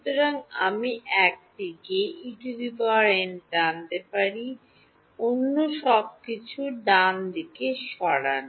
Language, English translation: Bengali, So, I can pull out E n on one side; move everything else to the right hand side right